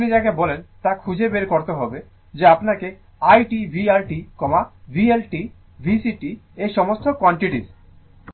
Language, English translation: Bengali, So, so you have to find out what you call that your i t, v R t, v L t v C t all these quantity